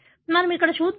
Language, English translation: Telugu, Let us see here